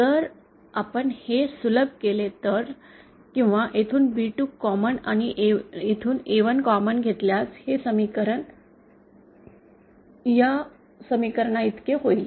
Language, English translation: Marathi, And if we simplify this, or if we take B2 common from here and A1 common from here then we can, this equation becomes equal to this equation